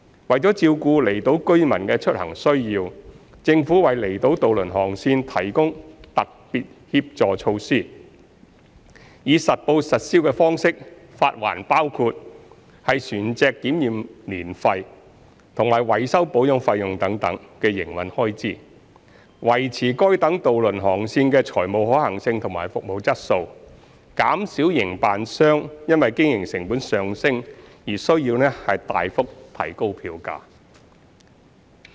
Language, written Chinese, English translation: Cantonese, 為照顧離島居民的出行需要，政府為離島渡輪航線提供特別協助措施，以實報實銷方式發還包括船隻檢驗年費及維修保養費用等營運開支，維持該等渡輪航線的財務可行性及服務質素，減少營辦商因經營成本上升而須大幅提高票價。, To take care of the commuting need of outlying island residents the Government provides the Special Helping Measures SHMs to outlying island ferry routes through reimbursing ferry operators on an accountable basis their operational expenses including the annual vessel survey fee and vessel repair and maintenance fee with a view to maintaining the financial viability and service quality of the ferry routes and reducing the need for hefty fare increases by ferry operators due to a rise in operating costs